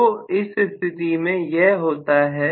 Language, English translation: Hindi, So, that is what happens in this case